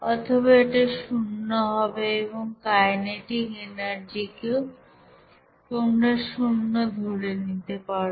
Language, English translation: Bengali, Or you can see zero and kinetic energy will be also considered as zero there